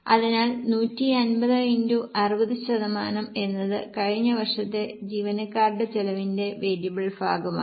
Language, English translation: Malayalam, So, 150 into 60% is into 60 percent is a variable portion of employee cost in the last year